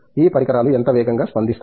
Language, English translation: Telugu, How fast will these devices respond